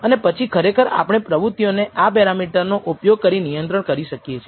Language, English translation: Gujarati, And then obviously, we can monitor the process using that that parameter